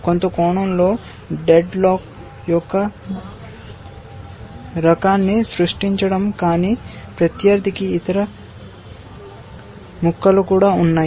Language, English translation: Telugu, In some sense, creating the kind of a dead lock, but the opponent has other pieces also